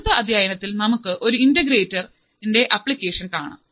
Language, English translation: Malayalam, In the next module, let us see the application of an integrator